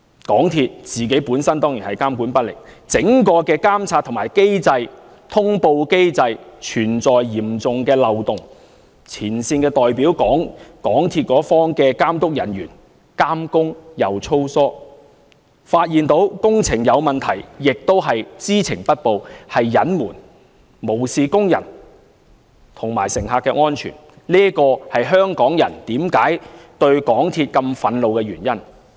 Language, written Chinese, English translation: Cantonese, 港鐵公司本身當然是監管不力，整個監察、通報機制存在嚴重漏洞，前線的代表、港鐵公司一方的監督人員監工粗疏，發現工程有問題亦知情不報、加以隱瞞，無視工人及乘客的安全，這是香港人對港鐵公司如此憤怒的原因。, MTRCL certainly has failed to discharge its monitoring duties properly and there are serious loopholes in its monitoring and notification mechanisms . The frontline representatives and supervisory staff of MTRCL played their monitoring roles in a slipshod manner in that they failed to report the irregularities spotted but concealed them instead paying no regard to the safety of construction workers and passengers . This is the reason why Hong Kong people are so furious with MTRCL